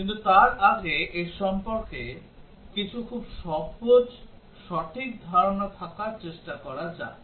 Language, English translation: Bengali, But before that lets try to have some very simple concepts about this correct